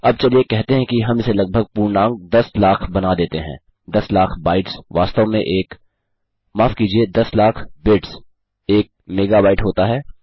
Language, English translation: Hindi, Now lets say we round this off to about a million a million bytes is in fact a...., Sorry, a million bits is a megabyte